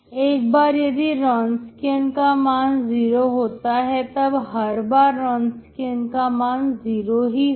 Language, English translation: Hindi, So once the Wronskian is zero, the Wronskian is zero Everytime